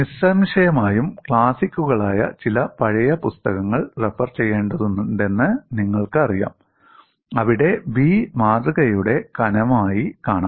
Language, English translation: Malayalam, If you have to refer some of the older books which are undoubtedly classics, there you would find B as the thickness of the specimen